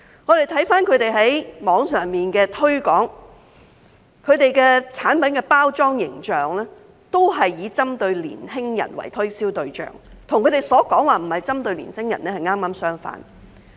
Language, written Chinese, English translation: Cantonese, 我們從他們在網上的推廣可見，他們的產品的包裝形象，均是以年輕人為推銷對象，與他們所說的並不是針對年輕人剛剛相反。, We can see from their online promotions that the packaging and image of their products are oriented towards young people contrary to their claims that they are not targeting young people